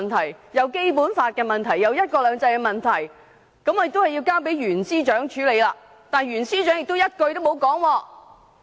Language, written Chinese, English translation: Cantonese, 他又說涉及《基本法》和"一國兩制"的問題要交由袁司長處理，但袁司長亦一句不提。, He also said that as the Basic Law and one country two systems were involved it should be dealt with by Secretary for Justice Rimsky YUEN . Yet Secretary for Justice Rimsky YUEN did not say anything